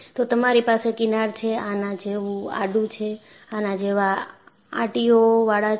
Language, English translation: Gujarati, You have fringes, are horizontal like this, loops like this